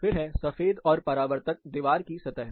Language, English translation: Hindi, So, you go for white and reflective wall surfaces